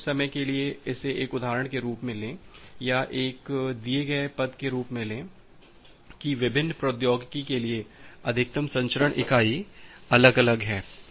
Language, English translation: Hindi, But for the time being, just take it as an example, or take it as an given postulate that for different technology the maximum transmission unit is different